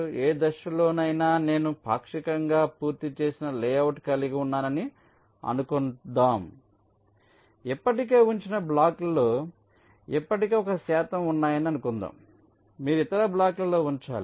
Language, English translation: Telugu, suppose i have a partially completed layout at any stage, suppose there are already a percentage of the blocks already placed